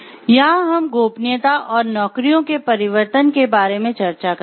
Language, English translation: Hindi, Here we will discuss about confidentiality and the changing of jobs